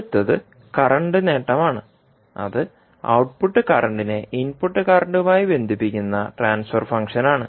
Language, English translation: Malayalam, Next is current gain that is again the transfer function which correlates the output current with input current